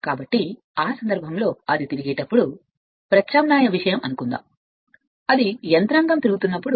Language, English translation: Telugu, So, in that case when it is revolving suppose the way we saw alternating thing the mechanism is such that when it is revolving right